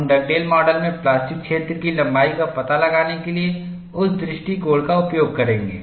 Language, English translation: Hindi, We will use that approach for us to find out the plastic zone length in Dugdale model, you need that expression